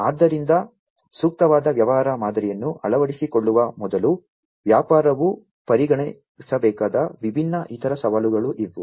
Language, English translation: Kannada, So, these are the different other challenges that will also have to be considered by a business, before coming up with the adoption of a suitable business model